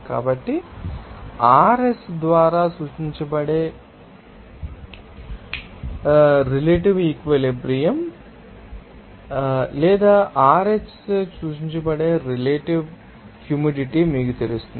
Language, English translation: Telugu, So, relative saturation that is denoted by RS or you know relative humidity that is denoted by RH